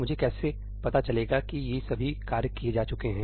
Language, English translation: Hindi, How do I know that all these tasks are done